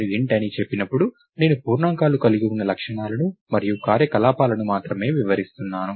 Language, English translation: Telugu, When I say int, I am I am describing only the properties that int integers have and the operations